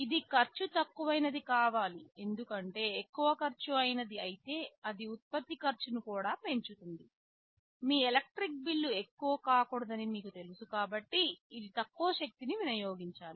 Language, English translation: Telugu, It must be low cost because if it is of a higher cost it also increases the cost of the product, it must consume low power, so you know your electric bill should not take a hit